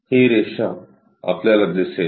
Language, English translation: Marathi, This line we will see